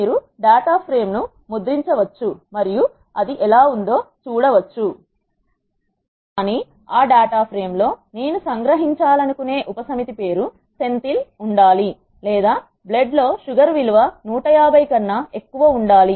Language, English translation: Telugu, But in that data frame what I want to extract is a subset where the name has to be Senthil or the blood sugar value has to be greater than 150